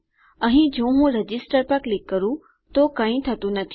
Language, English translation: Gujarati, Here if I click Register nothing happens